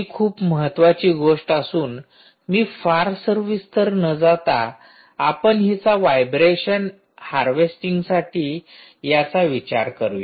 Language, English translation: Marathi, i won't get into the detail of that, and we are using it for vibration harvesting